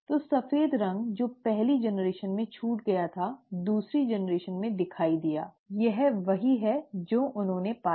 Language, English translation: Hindi, So the white colour which was missed in the first generation made an appearance in the second generation; that is what he found